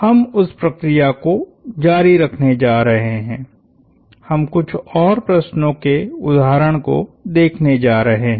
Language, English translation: Hindi, We are going to continue that process, we are going to look at a couple more example problems